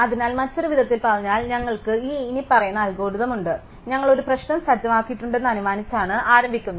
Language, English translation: Malayalam, So, in other words we have this following algorithm, so we start with by assuming that we have set off a problem